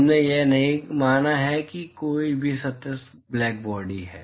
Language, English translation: Hindi, We have not assumed that any of the surfaces is blackbody